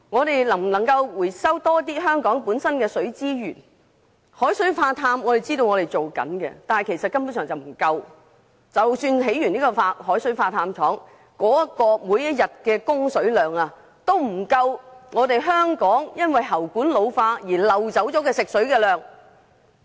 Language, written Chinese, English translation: Cantonese, 據我們所知，當局一直有進行海水化淡工作，但這根本並不足夠，即使完成興建海水化淡廠，每天的供水量也不足以彌補因喉管老化而漏掉的食水量。, We know that the authorities have been doing desalination . But this is simply not enough because even after building a desalination plant its daily output will never be able to make up for the loss of drinking water due to leakage from ageing water pipes